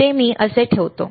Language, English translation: Marathi, So, I will put it like this